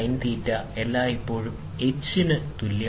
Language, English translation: Malayalam, Therefore, L sin theta is always equal to h